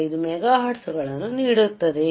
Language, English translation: Kannada, 125 mega hertz excellent